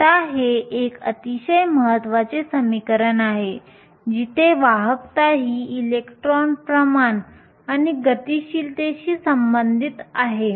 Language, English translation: Marathi, Now, this is a very important equation which relates the conductivity to the electron concentration and the mobility